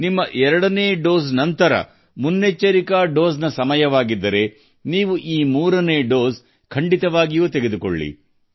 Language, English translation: Kannada, If it is time for a precaution dose after your second dose, then you must take this third dose